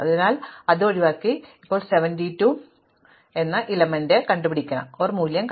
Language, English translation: Malayalam, So, I skip over it and now I reach a value 72